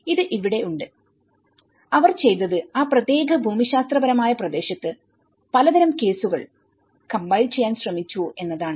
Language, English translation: Malayalam, So, this is here, what they did was they tried to compile a variety of cases in that particular geographical region